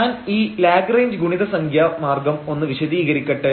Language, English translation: Malayalam, So, let me just explain that what is the method of Lagrange multiplier